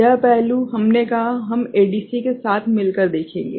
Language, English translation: Hindi, This aspect we said, we will take up together with ADC